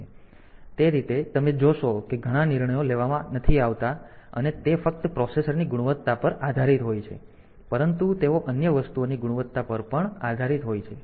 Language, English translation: Gujarati, So, that way you see that many decisions are not done it is only based on the quality of the processor, but the quality of other things as well